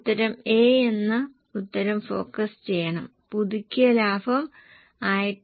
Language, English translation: Malayalam, The answer is A should be focused and the revised profit is 170